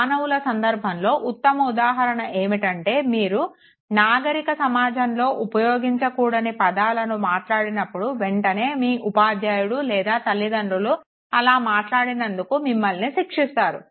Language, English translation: Telugu, In the case of human beings, the best example could be when you use words which are not to be used in a civilized society and immediately your teacher or your your parents they punish you for that